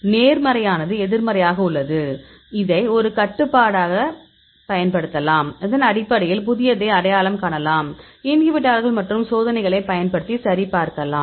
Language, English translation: Tamil, So, we have the negative we have the positives, we can use this was a control and based on that we can identify the new inhibitors and you can just validate using experiments